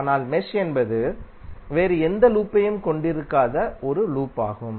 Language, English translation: Tamil, But mesh is a loop that does not contain any other loop within it